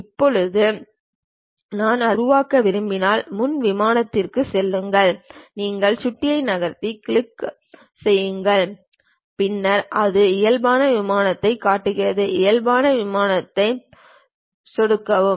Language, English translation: Tamil, Now, if I would like to construct it, go to Front Plane just move your mouse then give a right click, then it shows Normal To plane, click that Normal To plane